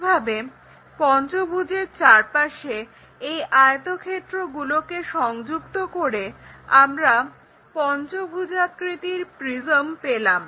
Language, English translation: Bengali, Similarly, if we are picking rectangles connect them across this pentagon we get pentagonal prism